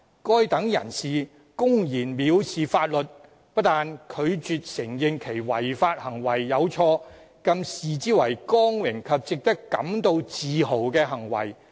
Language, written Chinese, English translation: Cantonese, 該等人士公然蔑視法律，不但拒絕承認其違法行為有錯，更視之為光榮及值得感到自豪的行為。, These people openly flout the law . Not only do they refuse to admit their lawbreaking activities are wrong but they even go as far as regarding such activities as a source of honour and pride